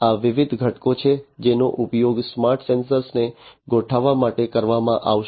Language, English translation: Gujarati, These are the different components, which will be used to configure the smart sensors